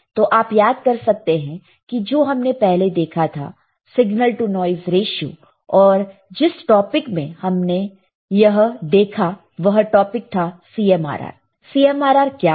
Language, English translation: Hindi, So, if you recall what we have seen earlier we have seen signal to noise ratio, and what is our said topic the topic was CMRR right